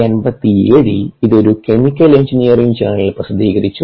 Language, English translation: Malayalam, it was published in chemical engineering, a journal in nineteen eighty seven